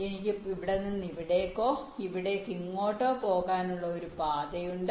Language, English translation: Malayalam, i have a path to take from here to here or here to here, right